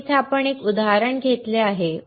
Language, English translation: Marathi, So, here we have taken one example